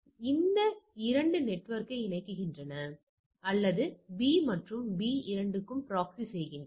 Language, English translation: Tamil, So, this these takes care connects those 2 network or proxying for the both the network A and B all right